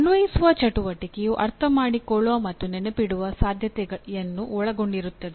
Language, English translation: Kannada, Apply activity will involve or likely to involve understand and remember both